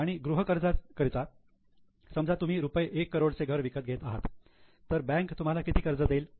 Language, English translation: Marathi, For a housing loan, let us suppose you are buying a house of 1 crore, how much loan bank will give